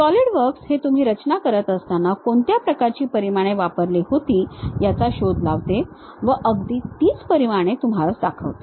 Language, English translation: Marathi, Solidworks detects what kind of dimensions, when you are constructing it shows those dimensions and saves internally